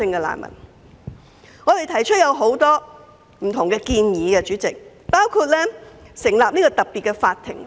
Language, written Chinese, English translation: Cantonese, 所以，我們曾提出很多不同建議，包括成立特別法庭。, Therefore we have put forward many different proposals including the establishment of a special court